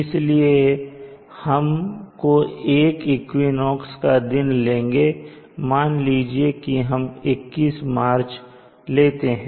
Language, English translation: Hindi, So we can consider one of the equinoxes days and let us say for this example we will take March 21st